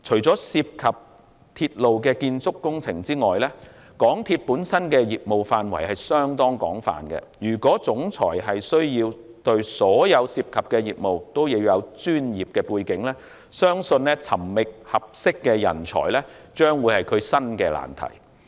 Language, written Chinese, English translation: Cantonese, 港鐵公司本身的業務範圍相當廣泛，如果行政總裁需要對所有涉及的業務也有專業的背景，相信尋覓合適的人才將會是新的難題。, And given the wide - ranging business scope of MTRCL identifying a suitable candidate will be its next problem if the Chief Executive Officer is required to process professional backgrounds in all the business areas it involves